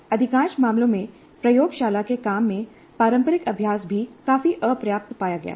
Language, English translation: Hindi, And conventional practice in the laboratory work is also found to be quite inadequate in most of the cases